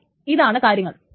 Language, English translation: Malayalam, But here are the things